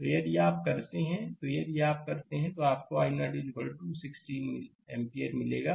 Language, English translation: Hindi, So, if you do; so, if you do; so, you will get i 0 is equal to 1 6 ampere